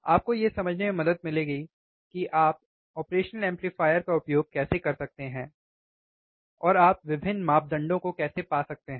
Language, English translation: Hindi, That will help you understand how you can use the operational amplifier and how you can find different parameters